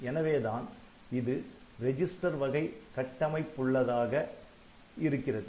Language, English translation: Tamil, So, that is why it is a register type of architecture